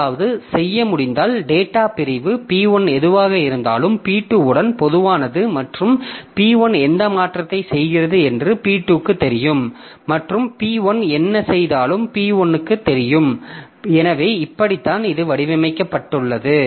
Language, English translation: Tamil, So, if we can do something so that whatever the data segment P1 has, so P2 has it common with P1 and whatever modification P1 is doing, so it is visible to P2 and whatever modification P2 is doing is visible to P1, so like that if it can be